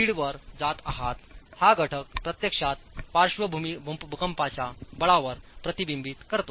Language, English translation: Marathi, 5, this factor actually reflects on the lateral seismic force itself